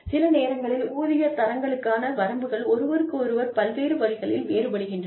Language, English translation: Tamil, The pay grades are, sometimes, the ranges differ from one another, in various ways